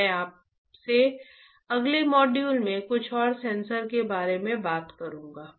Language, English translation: Hindi, So, I will meet you in the next module talking about few more sensors